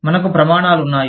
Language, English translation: Telugu, We have standards